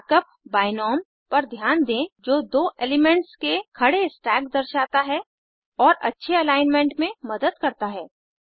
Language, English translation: Hindi, Notice the mark up binom, which displays a vertical stack of two elements and helps with better alignment